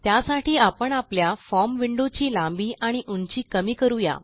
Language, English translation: Marathi, To do this, we will decrease the height and length of our form window